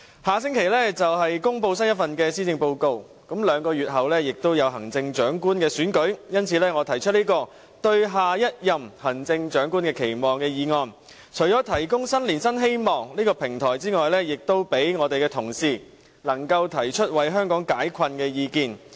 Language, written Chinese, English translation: Cantonese, 下星期便會公布新一份施政報告，兩個月後就是行政長官選舉，因此我提出這項"對下任行政長官的期望"的議案，除了為提供新年新希望這平台外，也希望讓同事提出為香港解困的意見。, The upcoming Policy Address will be delivered next week and the Chief Executive election will be held two months later . So I propose this motion on Expectations for the next Chief Executive in the hope of providing a platform for offering new hopes for the new year and also for enabling Members to put forth their views on ways to resolve the difficulties faced by Hong Kong